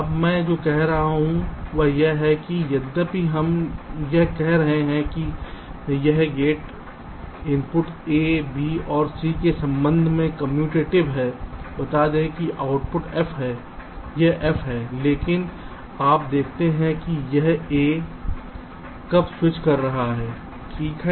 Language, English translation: Hindi, now what i am saying is that although we are saying that this gate is commutative with respect to the inputs a, b and c, lets say the output is f, is f, but you see when this a is switching right, suppose b and c are already zero and zero